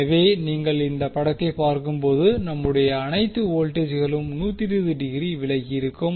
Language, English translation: Tamil, So, if you see this particular figure, all our voltages are 120 degree from each other